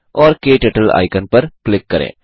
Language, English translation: Hindi, And Click on the KTurtle icon